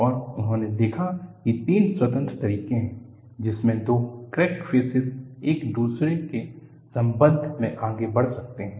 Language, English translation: Hindi, And, he observed that there are three independent ways, in which the two crack surfaces can move with respect to each other